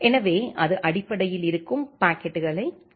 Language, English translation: Tamil, So, it basically capture the packets which are there